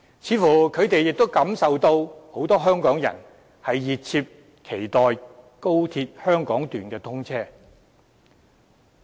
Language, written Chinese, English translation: Cantonese, 他們似乎亦感受到，很多香港人熱切期待高鐵香港段通車。, They too seem to have sensed the fervent anticipation of many Hong Kong people for the commissioning of XRL